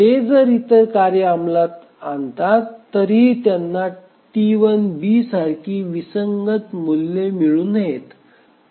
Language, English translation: Marathi, So, even if other tasks they execute, they should not get inconsistent values similar with T2, sorry, T1B